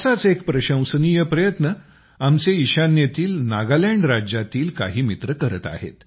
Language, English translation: Marathi, One such commendable effort is being made by some friends of our northeastern state of Nagaland